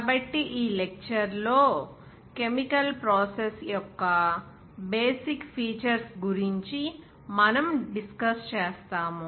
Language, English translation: Telugu, So in this lecture, we will discuss something about the basic features of the chemical process